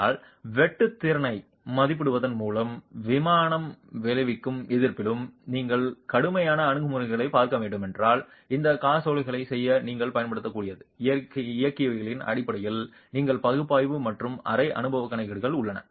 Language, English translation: Tamil, But if you were to look at rigorous approach by estimating the shear capacity and in plain pending resistance, then there are simple analytical and semi emperical calculations based on mechanics that you can use to be to make those checks